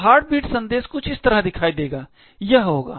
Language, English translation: Hindi, So, the heartbeat message would look something like this, it would